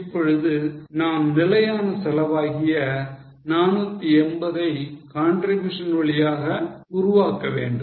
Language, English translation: Tamil, Now, we have to generate fixed cost of 480 by way of contribution